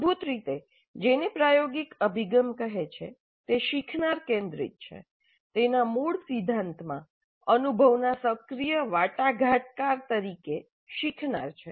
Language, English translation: Gujarati, Basically the experience, experiential approach says that it is learner centric, learner as active negotiator of his experience